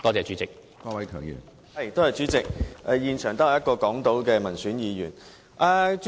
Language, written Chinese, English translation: Cantonese, 主席，現場只有我這一位港島民選議員在席。, President I am the only Member representing the Hong Kong Island constituency at the Chamber now